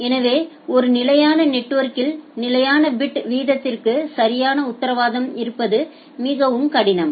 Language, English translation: Tamil, So, in a typical network having perfect guarantee of a constant bit rate is very difficult